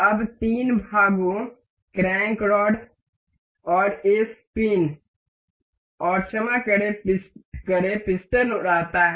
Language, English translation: Hindi, Now, there remains the three parts, the crank rod and this pin and the sorry the piston